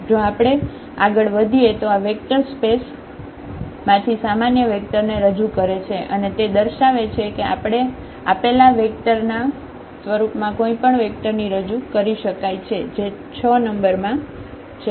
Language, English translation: Gujarati, If we continue this so, that is the representation now of this general vector from this vector spaces and that shows that we can represent any vector from this vector space in terms of these given vectors which are 6 in number